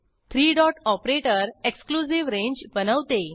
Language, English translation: Marathi, (...) three dot operator creates an exclusive range